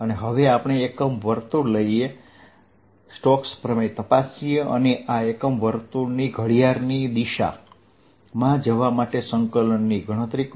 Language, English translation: Gujarati, none the less, let us check stokes theorem by taking a unit circle and calculate the integral over this unit circle, going counter clockwise